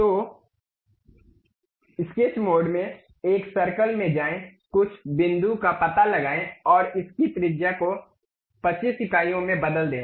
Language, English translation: Hindi, So, in the sketch mode go to a circle locate some point and change its radius to 25 units